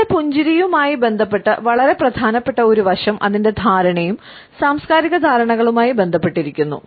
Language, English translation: Malayalam, A very important aspect related with our smiles and its understanding is related with cultural understandings